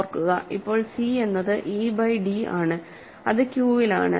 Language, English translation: Malayalam, Remember, c is now, c is defined to be e by d and it is in Q